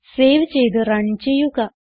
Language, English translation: Malayalam, Save it Run